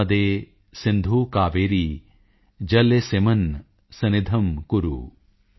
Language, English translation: Punjabi, Narmade Sindhu Kaveri Jale asminn Sannidhim Kuru